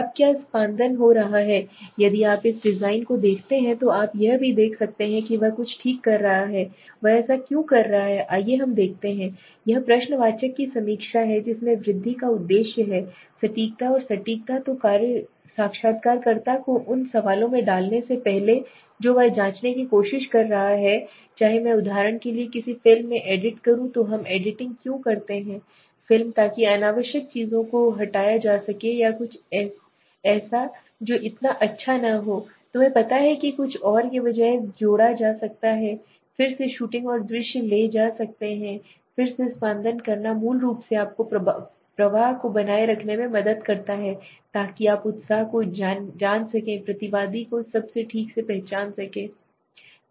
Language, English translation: Hindi, Now what is editing now if you see this design also you can see he is circling something right so why is he doing it let us see, it is the review of the questionnaire with the objective of increasing the accuracy and precision so the interviewer before putting in the questions he is trying to check whether if I edit like in a movie for example the best example why do we do an editing in the movie so that unnecessary things could be removed or something which is not so good could be you know instead of something else can be added by may be again shooting and taking scene again so editing basically helps you in keeping the flow in keeping the you know enthusiasm of the respondent and all okay